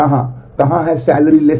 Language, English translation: Hindi, Where, where is salary is less than 75000